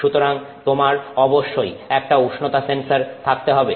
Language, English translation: Bengali, So, you have to have a temperature sensor there